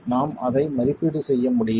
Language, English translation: Tamil, We are making an estimate of what that is